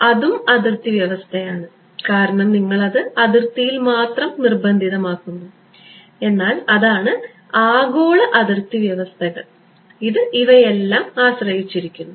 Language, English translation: Malayalam, So, that is also boundary condition because you are imposing it only on the boundary, but that is the global boundary conditions it depends on all of these right